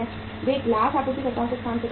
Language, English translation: Hindi, They provide the space to the glass suppliers